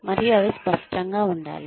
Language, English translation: Telugu, And, they should be tangible